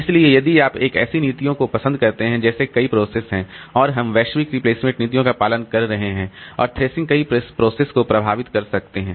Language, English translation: Hindi, So if you want policy is that, like, if many processes are there and we are following global replacement policy and thrashing may affect multiple number of processes